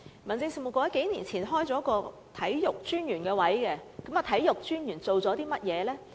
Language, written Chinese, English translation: Cantonese, 民政事務局數年前曾開設一個體育專員的職位，體育專員做過些甚麼呢？, A few years ago the Home Affairs Bureau created a post of Commissioner for Sports . What has the Commissioner for Sports done?